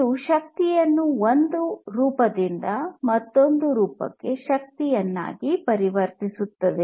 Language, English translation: Kannada, It converts the energy from one form to the energy in another form